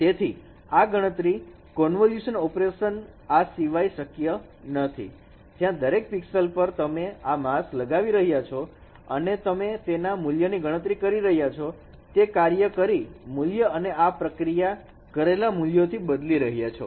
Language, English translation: Gujarati, So this computation is nothing but a convolution operation where every at every pixel you are placing this mask and you are computing this weights and then replacing that functional value with this processed value